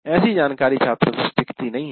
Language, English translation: Hindi, Obviously that kind of thing will not stay with the students